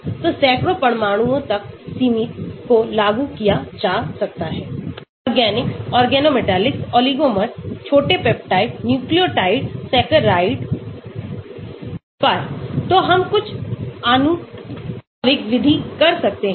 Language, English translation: Hindi, so limited to hundreds of atoms can be applied to organics, organometallics, oligomers, small peptide, nucleotide, saccharide, so we can do some empirical method